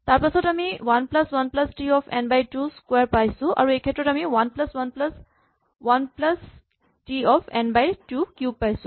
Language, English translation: Assamese, Then I get 1 plus 1 plus T of n by 2 squared and in this case I will again get 1 plus 1 plus 1 by T of n by 2 cube